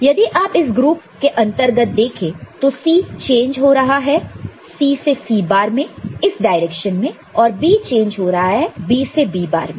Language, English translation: Hindi, So, if you see within this group C is changing from C 1 to C along this direction and along this direction B is changing from B to B bar B bar to B right